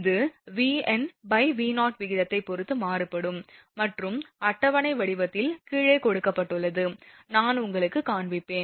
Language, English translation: Tamil, It varies with the ratio V n by V 0 and is given below in tabular form I will show you